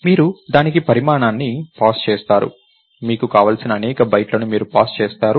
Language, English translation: Telugu, You pass a size to it, you pass a number of bytes that you want